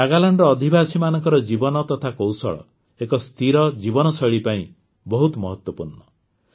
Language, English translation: Odia, The life of the people of Nagaland and their skills are also very important for a sustainable life style